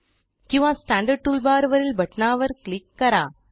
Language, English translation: Marathi, Alternately, click on the button in the standard tool bar